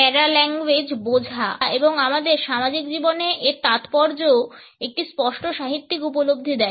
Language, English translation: Bengali, And understanding of the paralanguage and it is significance in our social life has also been a clear literary understanding